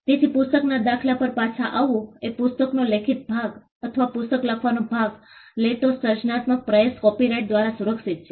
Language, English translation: Gujarati, So, coming back to the book example a book the written part of the book or the creative endeavor that goes into writing a book is protected by copyright